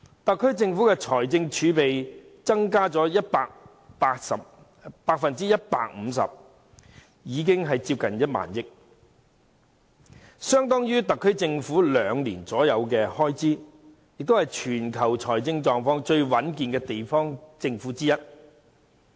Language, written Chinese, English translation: Cantonese, 特區政府的財政儲備增加了 150%， 接近1萬億元，相當於特區政府約兩年的開支，也是全球財政狀況最穩健的地方政府之一。, The fiscal reserves of the SAR Government have increased by 150 % and the total amount is now close to 1 trillion which is equivalent to about two years of the SAR Governments expenditure . Hong Kong is also one of the worlds most financially robust local governments